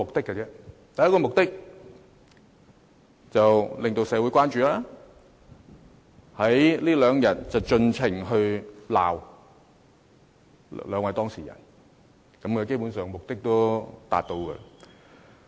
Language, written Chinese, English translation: Cantonese, 第一個目的是令社會關注，在這兩天盡情責罵兩位當事人；基本上這目的已經達到。, For one thing they want to arouse attention in society and hence they have been criticizing the two persons concerned in this matter endlessly over the past two days . Basically they have achieved this objective